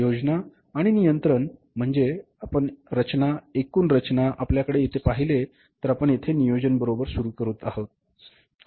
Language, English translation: Marathi, Planning and controlling means if you look at this structure, total structure we have here, we are starting here with the planning, right